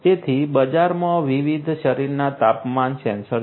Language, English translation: Gujarati, So, there are different body temperature sensors in the market